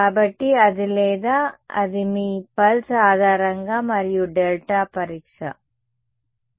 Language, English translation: Telugu, So, that is or that is your pulse basis and delta testing ok